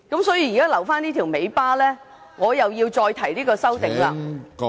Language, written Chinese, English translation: Cantonese, 所以，現在留下這條尾巴，我要再提出這項修正案......, Therefore there is still a dangling end and because of that I must move this amendment again